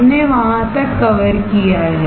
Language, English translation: Hindi, We have covered till there